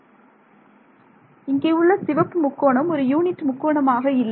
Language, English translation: Tamil, The green tri the red triangle is not a unit triangle